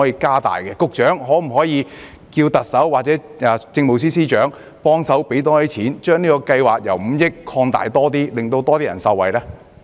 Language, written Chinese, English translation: Cantonese, 局長，可否要求特首或政務司司長增加撥款，將這項計劃的總額上限5億元調高，讓更多人受惠？, Secretary can you ask the Chief Executive or the Chief Secretary for Administration to provide additional funding and raise D - Bizs funding limit of 500 million so that more people can benefit?